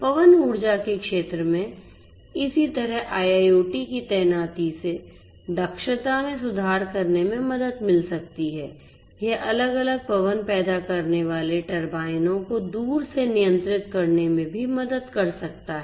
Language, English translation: Hindi, In the wind energy sector likewise IIoT deployment can help in improving the efficiency this can also help in remotely controlling the different you know the wind generating turbines these could be controlled remotely over a network from some control station